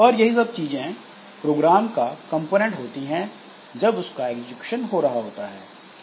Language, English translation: Hindi, So, these are the components of a program when it is executing